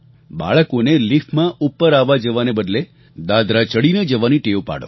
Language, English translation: Gujarati, The children can be made to take the stairs instead of taking the lift